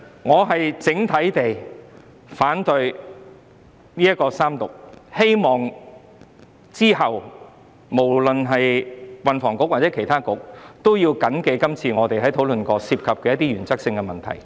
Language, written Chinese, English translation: Cantonese, 我反對《條例草案》三讀，希望日後運房局及其他政策局都緊記這次我們討論過的一些原則性問題。, I oppose the Third Reading of the Bill and I hope that in future THB and other Policy Bureaux will bear in mind the issues on principles that we discussed today